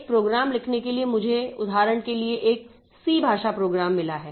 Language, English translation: Hindi, For writing a program, I need for example, suppose I have got a C language program